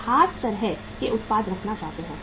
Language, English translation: Hindi, People want to have the special kind of the products